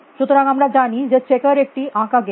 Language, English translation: Bengali, So, we know that checkers is the drawn game